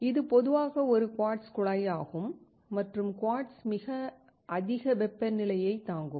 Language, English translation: Tamil, This is generally a quartz tube and quartz can withstand very high temperature